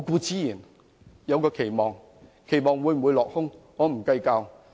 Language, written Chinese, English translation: Cantonese, 至於期望會否落空，我並不計較。, As to the question of whether my hope will fall through I do not mind